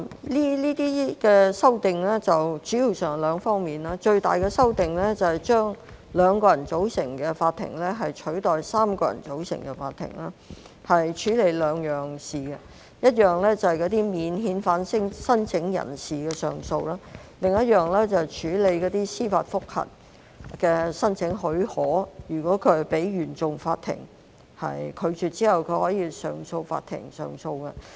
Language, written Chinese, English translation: Cantonese, 這些修訂主要包括兩方面，最大的修訂是將2人組成的法庭取代3人組成的法庭處理兩項事務：一項是免遣返聲請人士的上訴，另一項是處理司法覆核的申請許可，如果申請被原訟法庭拒絕，可以到上訴法庭上訴。, The amendments this time around mainly concern two areas with the major change being the substitution of a bench of three Judges of the Court of Appeal CA with a bench of two Judges dealing with two matters namely the appeal cases of non - refoulement claims and the leave to apply for judicial review JR . If the Court of First Instance CFI rejects such claims they may launch an appeal to CA